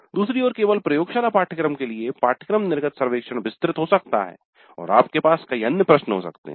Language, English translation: Hindi, On the other hand course its course exit survey for a laboratory only course can be more elaborate we can have more questions